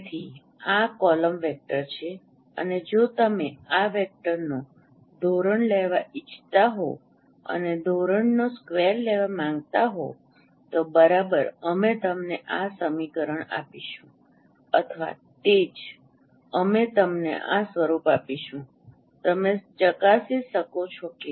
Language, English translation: Gujarati, So this is a column vector and if you would like to take the norm of this vector and take the square of the norm that exactly will give you this equation or that is what we will give you also this form